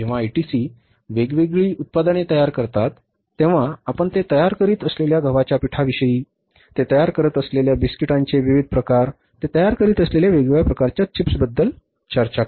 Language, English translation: Marathi, When the ITC manufactures as different products, you talk about the wheat flow they are manufacturing, different types of biscuits they are manufacturing, different types of chips they are manufacturing